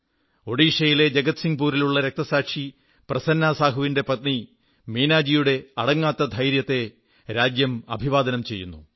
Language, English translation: Malayalam, The country salutes the indomitable courage of Meenaji, wife of Martyr PrasannaSahu of Jagatsinghpur, Odisha